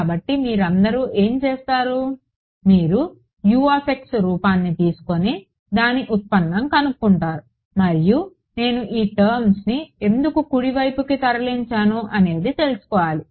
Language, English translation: Telugu, So, all of you what you are doing is you are looking at the form of U x you are talking the derivative and telling you what it is for getting that why did I move this term to the right hand side it should be known